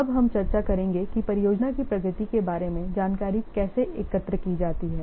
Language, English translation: Hindi, Now we will discuss how the information about the progress of the project is gathered